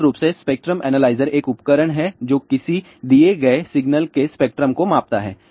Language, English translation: Hindi, Basically, spectrum analyzer is a equipment which measures the spectrum of a given signal